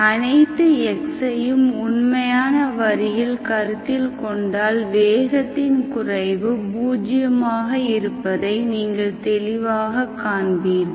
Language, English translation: Tamil, If you consider all x in the real line, clearly you will see that the infimum of the speed is 0, it becomes 0